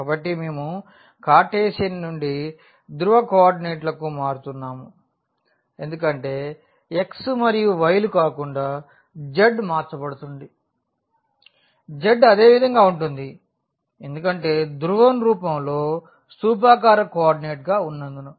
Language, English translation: Telugu, So, we are changing from Cartesian to polar coordinates because the x and y are changed not the z; z remains as it is in the polar in this is the cylindrical coordinates